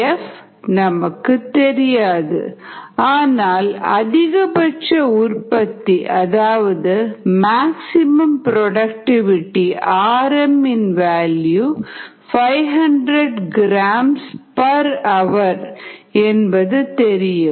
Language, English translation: Tamil, we don't know f, but we know that the productivity is five hundred gram per hour